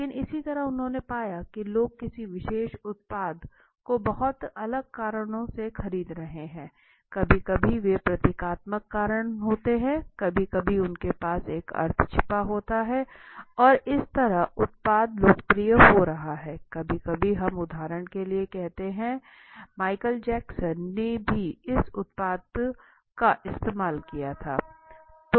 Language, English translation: Hindi, But similarly what they found was the people are buying a particular product for very, very different reasons sometimes they are symbolic reasons sometimes they have got a hidden you know meanings to that and that is how the product is becoming popular sometimes we say like for example Michael Jackson had also used this product